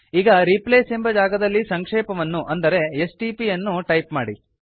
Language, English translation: Kannada, Now in the Replace field let us type the abbreviation which we want to replace as stp